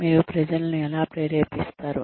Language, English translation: Telugu, How do you motivate people